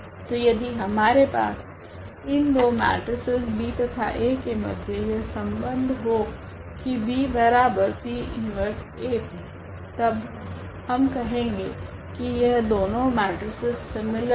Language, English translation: Hindi, So, if we have this relation between the 2 matrices here B and A that P inverse AP gives the B the other matrix, then we call that these two are similar